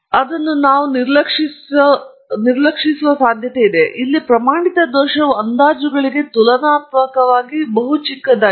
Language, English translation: Kannada, So, standard error here is much smaller relative to the estimates themselves